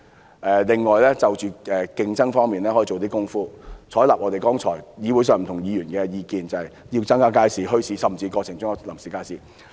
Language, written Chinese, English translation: Cantonese, 政府亦可以在競爭方面做些工夫，採納剛才不同議員提出的意見，即增設街市、墟市，甚至臨時街市。, The Government can also make efforts in respect of competition and take on board the views raised by different Members just now ie . setting up more public markets bazaars and even temporary markets